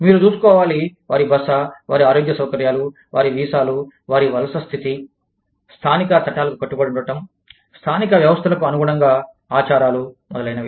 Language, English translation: Telugu, You have to look after, their stay, their health facilities, their visas, their migratory status, their adherence to local laws, their adaptation to local systems, customs, etcetera